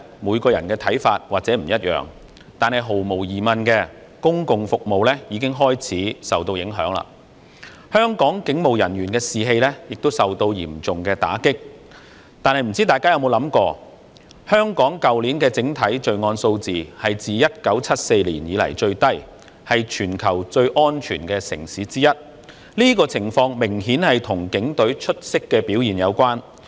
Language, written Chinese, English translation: Cantonese, 每個人的看法或許不同，但毫無疑問，公共服務已經開始受到影響，香港警務人員的士氣亦受到嚴重打擊，但大家有否想過，香港去年的整體罪案數字是自1974年以來最低，是全球最安全的城市之一，這個情況明顯與警隊出色的表現有關。, Everyones view may vary but undoubtedly public services have already been affected . The morale of the Hong Kong police officers has also suffered a serious blow . However did it ever come to our mind that with the overall crime rate last year being the lowest since 1974 Hong Kong is one of the safest cities in the world and this is obviously attributable to the remarkable performance of the Police Force?